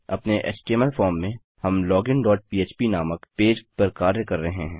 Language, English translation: Hindi, In our html form, we have the action going to a page called login dot php